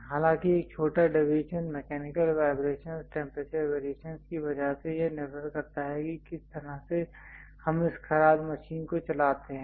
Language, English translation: Hindi, But a small deviation, because of mechanical vibrations temperature variations are the way how we feed this lathe machine and so on